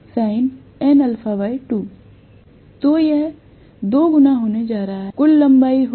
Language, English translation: Hindi, So, this is going to be 2 times, this will be the overall length of